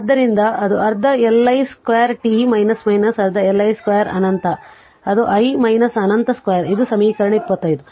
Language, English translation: Kannada, So, that is half Li square t minus half Li square minus infinity that is i your i minus infinity square right this is equation 25